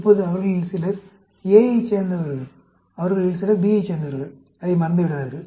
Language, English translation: Tamil, Now, some of them belongs to A, some of them belongs to B, do not forget that